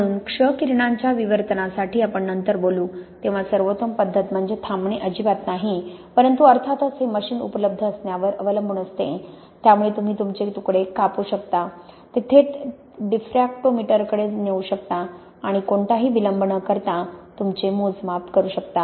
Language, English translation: Marathi, So for X ray diffraction as we will talk about later, then the best method is not to stop at all but of course this does depend on having machine available so you can cut your slice, take it straight to the diffractometer and make your measurement really without any delay